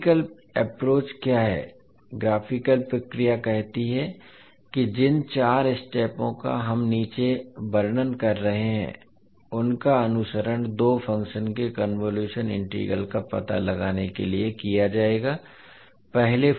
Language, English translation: Hindi, What is the graphical procedure, graphical procedure says that the four steps which we are describing below will be followed to find out the convolution integral of two functions